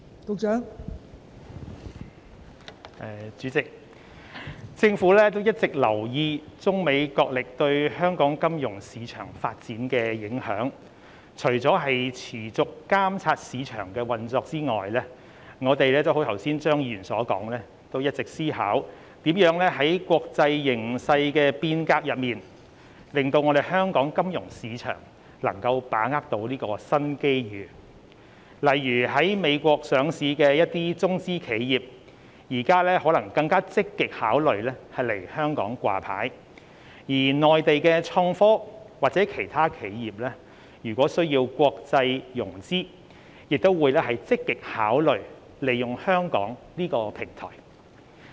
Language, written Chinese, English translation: Cantonese, 代理主席，政府一直有留意中美角力對香港金融市場發展的影響，除了持續監察市場運作外，政府亦如剛才張議員所說，一直思考如何在國際格局的變動中，讓香港金融市場能夠把握新機遇，例如一些在美國上市的中資企業，現時可能會更加積極考慮來港上市，而內地的創科企業或其他企業如果需要在國際上融資，亦會積極考慮利用香港這個平台。, Deputy President the Government has always paid attention to the impact brought by the tug - of - war between China and the United States on the development of the local financial market . Apart from continuously monitoring the operation of the market the Government has as Mr CHEUNG said just now consistently considered ways to enable the local financial market to grasp new opportunities amidst changes in the international setting . For example some Chinese enterprises listed in the United States may more actively consider listing in Hong Kong whilst the innovative technology enterprises in the Mainland or other corporations in need of international financing may also actively consider availing themselves of our platform in Hong Kong